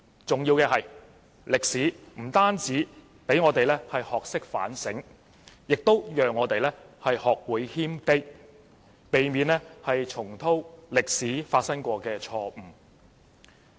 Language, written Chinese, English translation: Cantonese, 重要的是，歷史不單讓我們學會反省，也讓我們學會謙卑，避免重蹈歷史上發生過的錯誤。, Most importantly history not only enables us to learn about self - reflection but also enables us to learn about humility so as to avoid making mistakes of the past